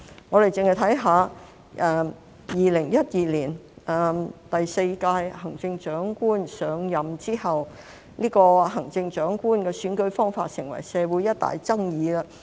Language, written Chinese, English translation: Cantonese, 我們單看2012年第四屆行政長官上任後，這個行政長官選舉方法成為社會一大爭議。, After the fourth term Chief Executive took office in 2012 the method of electing the Chief Executive became a major controversy in society